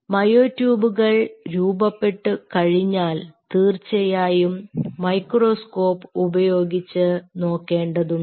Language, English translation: Malayalam, and what you do once this myotubes are form, you look at them under the microscope